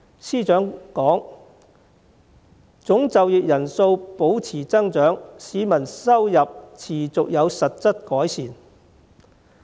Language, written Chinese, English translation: Cantonese, 司長稱，"總就業人數保持增長，市民收入持續有實質改善"。, According to the Financial Secretary Total employment sustained growth and salaries increased continuously in real terms